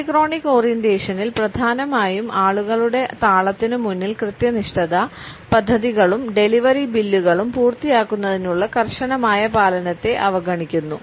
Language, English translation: Malayalam, In the polychronic orientation punctuality is largely ignored to the rhythm of the people and the rigid adherence to completing the projects and delivery bills, according to a rigid schedule is sometimes overlooked